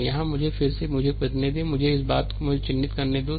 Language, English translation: Hindi, So, here let me again me, let me this thing I let me mark it